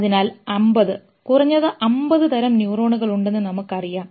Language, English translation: Malayalam, So we know there are 50, at least 50 type of neurons